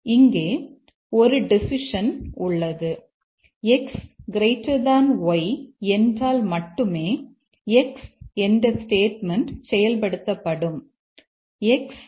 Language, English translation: Tamil, There is a decision here only if x is greater than y, then x this statement will get executed